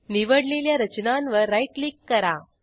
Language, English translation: Marathi, Right click on the selection